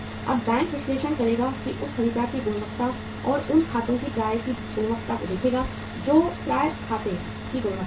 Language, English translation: Hindi, Now the bank will analyze and see the quality of that buyer or the quality of those accounts receivables, what is the quality of those accounts receivable